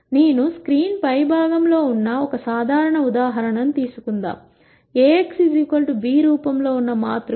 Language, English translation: Telugu, Let us take a simple example where I have on the top of the screen, the matrix in the form A x equal to b